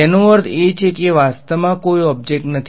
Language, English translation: Gujarati, That means there is actually no object